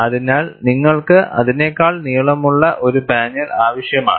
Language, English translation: Malayalam, So, you need to have a panel longer than that